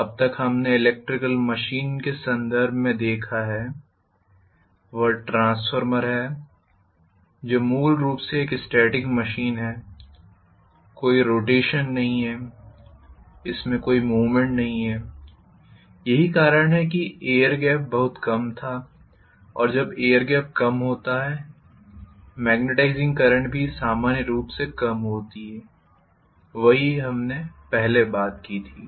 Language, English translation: Hindi, So far what we have seen in terms of electrical machines is transformer which is basically a static machine, there is no rotation, there is no movement involved and that is the reason why the air gap was very very less and when the air gap is less the magnetizing current is also normally less, that is what we talked about earlier